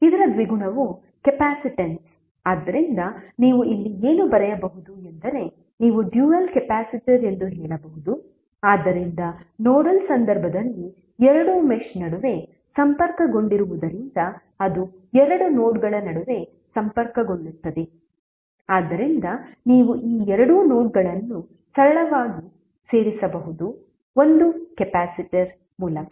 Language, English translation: Kannada, The dual of this is the capacitance so what you can write here you can say that dual of this is capacitor so since it is connected between two mesh in the nodal case it will be connected between two nodes, so you can simply add this two nodes through one capacitor